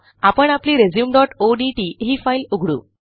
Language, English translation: Marathi, We shall open our resume.odt file